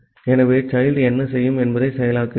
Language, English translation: Tamil, So, the child process what it will do